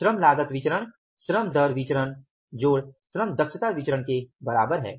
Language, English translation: Hindi, Labor cost variance is equal to LRPB plus labor efficiency variance